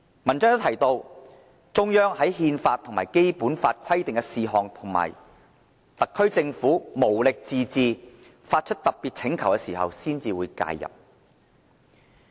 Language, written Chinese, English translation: Cantonese, 文章亦提到："中央則在憲法與《基本法》規定的事項及特區政府無力自治、發出特別請求時才會予以介入"。, [Translation] The article also says The Central Government will intervene only into matters that are stipulated in the Constitution and the Basic Law and only when the Special Administrative Region Government is unable to administer self - rule and hence makes a special request for it